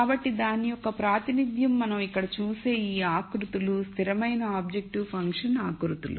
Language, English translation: Telugu, So, the representation of that are these contours that we see here, which are constant objective function contours